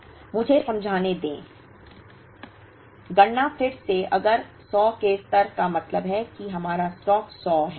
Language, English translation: Hindi, Let me explain, the computation again, if the reorder level is 100 which means our stock is 100